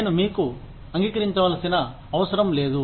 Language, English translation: Telugu, I do not have to agree to you